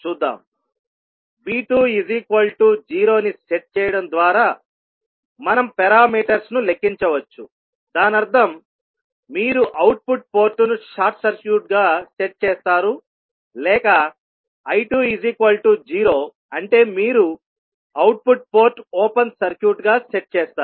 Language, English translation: Telugu, The parameters we can calculate by setting V 2 is equal to 0 that means you set the output port as short circuited or I 2 is equal to 0 that means you set output port open circuit